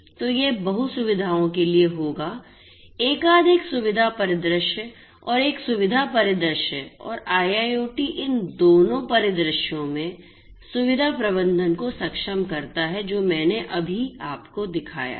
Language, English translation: Hindi, So, this will be for multi facilities right multiple facility scenario and the single facility scenario and IIoT enabled facility management in both of these scenarios is what I just showcased you